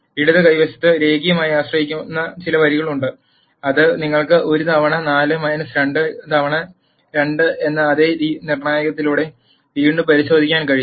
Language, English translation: Malayalam, That is there are some rows which are linearly dependent on the left hand side, which you can again verify by the same determinant 1 times 4 minus 2 times 2 is 0